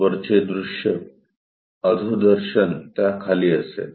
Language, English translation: Marathi, Top view will be below that